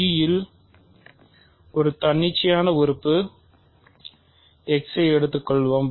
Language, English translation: Tamil, So, let us take an arbitrary element x in G